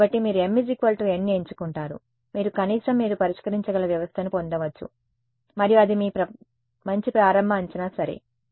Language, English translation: Telugu, So, you choose m equal to n you can at least get a system which you can solve and that is your good initial guess ok